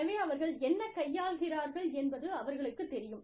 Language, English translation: Tamil, So, they know, what they are dealing with